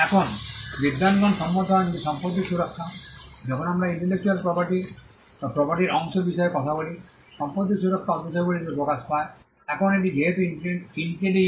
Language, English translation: Bengali, Now, scholars are in agreement that the property protection, when we talk about the property part of intellectual property, the property protection manifests on intangibles